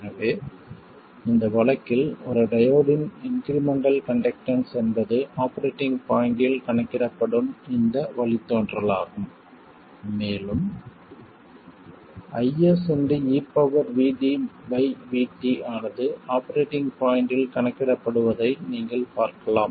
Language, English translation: Tamil, So, in that case, the incremental conductance of a diode is this derivative calculated at the operating point and you can see that it is i s by v t exponential v d by v t calculated at the operating point